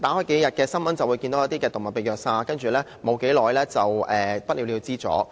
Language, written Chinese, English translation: Cantonese, 新聞上，數天便會看到一宗動物被虐殺的報道，接着便不了了之。, Every several days we can see in the news a report of animal abuse and killing which will then be left unsettled